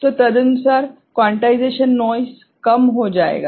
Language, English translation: Hindi, So, accordingly the quantization noise will be reduced ok